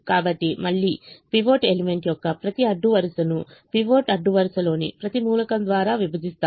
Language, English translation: Telugu, so again we divide every row of the pivot element by them, by the every element of the pivot row, by the pivot element divided by minus five